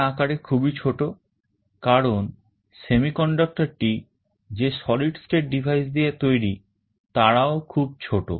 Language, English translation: Bengali, These are much smaller in size because the semiconductor made of solid state devices, they are very small